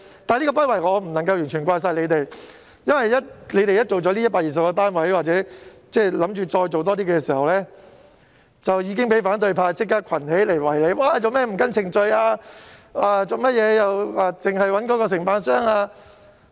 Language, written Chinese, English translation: Cantonese, 但我不能完全怪責政府的不為，因為當它興建這120個單位後或計劃興建更多單位時，已立即被反對派群起圍堵，質問為何不依程序行事及只選用某承辦商。, However I cannot put all the blame on the Government for its inaction for when it had completed these 120 units and planned to produce more it was immediately besieged by the opposition . Questions were put to it as to why it had failed to act in accordance with procedures and only chosen a certain contractor